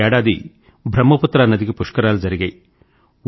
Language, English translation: Telugu, This year it was held on the Brahmaputra river